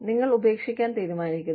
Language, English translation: Malayalam, You decide quitting